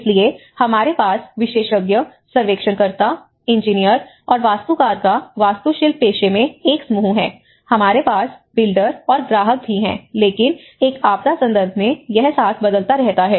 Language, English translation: Hindi, So, we have a set of expertise, the surveyors, the engineers, the architects, of course in the architectural profession, we have another one the builder and the client, but in a disaster context it varies with the context in the context